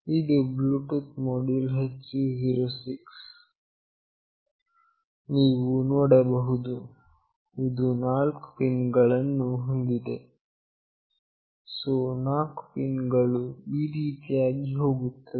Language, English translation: Kannada, This is the Bluetooth module that is HC 06, you can see it has got four pins, so the four pins goes like this